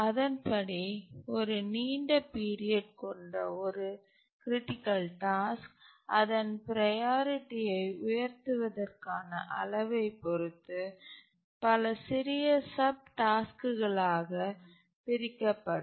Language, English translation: Tamil, A critical task having high period, long period, split into many smaller subtasks depending on to what extent we want to raise its priority